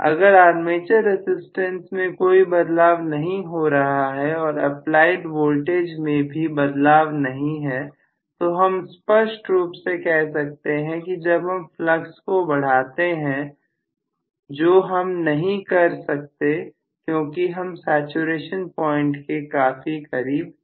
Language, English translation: Hindi, So if I have no modification in the armature resistance and no modification in applied voltage very clearly this tells me that when I increase the flux which I cannot do much because I have already been close to saturation point